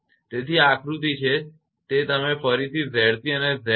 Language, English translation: Gujarati, So, this is the diagram that it is Z c and Z again